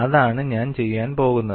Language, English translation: Malayalam, So, what I will do is